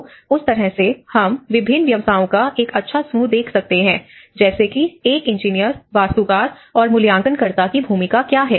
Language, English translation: Hindi, So, in that way, we can see a good overlap of various professions like what is the role of an engineer, what is the role of an architect, what is the role of a valuer you know